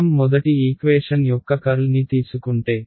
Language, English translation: Telugu, If I take a curl of the first equation right